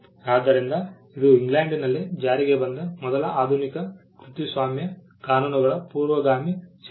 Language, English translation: Kannada, So, this was the first statute passed in England which was the precursor of modern copyright laws